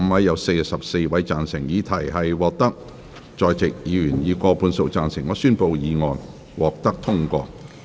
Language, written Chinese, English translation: Cantonese, 由於議題獲得在席議員以過半數贊成，他於是宣布議案獲得通過。, Since the question was agreed by a majority of the Members present he therefore declared that the motion was passed